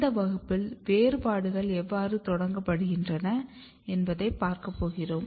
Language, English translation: Tamil, Here in this class we are going to see how the differentiations are initiated